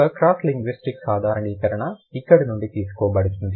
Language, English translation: Telugu, One cross linguistic generalization is going to be drawn from here